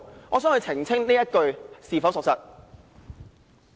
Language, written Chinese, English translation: Cantonese, "我想他澄清這句說話是否屬實。, I would like him to elucidate if he did make this remark